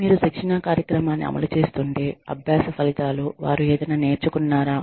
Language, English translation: Telugu, If you are implementing a training program, then the learning outcomes